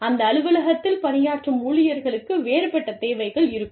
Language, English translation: Tamil, The people, sitting in that office, will have a different set of needs